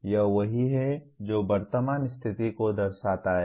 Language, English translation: Hindi, So that is what it reflects the present situation